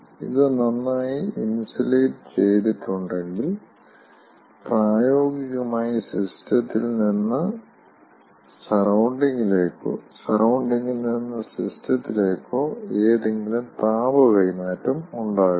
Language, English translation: Malayalam, if it is well insulated, then there will not be any heat transfer, either from the system to the surrounding or from the surrounding to the system